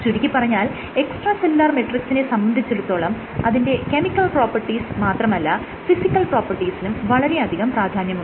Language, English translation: Malayalam, So, properties of the extracellular matrix, when I see properties not only the chemical properties also its physical properties are equally important